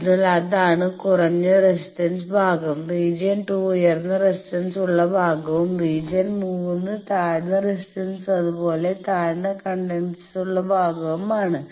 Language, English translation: Malayalam, So, that is low resistance part region 2 is high resistance part region three is low resistance as well as low conductance and region four low resistance and low conductance